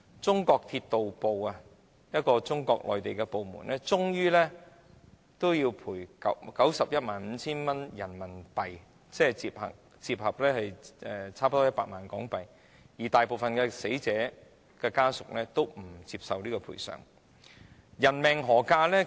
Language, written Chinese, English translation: Cantonese, 當時的中國鐵道部最終賠償 915,000 元人民幣，折合近 1,000,000 港元，但大部分死者家屬皆不接受這個賠償金額。, At the time Chinas Ministry of Railways paid a compensation of RMB915,000 in the end or nearly HK1 million after conversion . But most bereaved families refused to accept this compensation amount